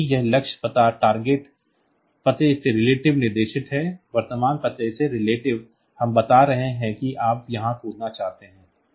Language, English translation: Hindi, Because these jumps the target address is specified relative to the current address; relative to the current address we are telling where do you want to jump